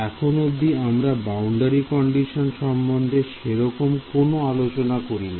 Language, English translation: Bengali, So, far we have not spoken about boundary conditions right